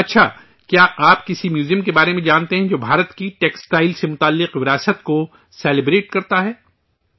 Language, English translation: Urdu, Ok,do you know of any museum that celebrates India's textile heritage